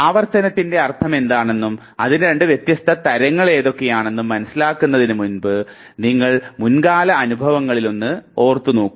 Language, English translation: Malayalam, Now, before you understand what rehearsal means and what the two different types of rehearsal are, understand this information by recollecting one of your past experiences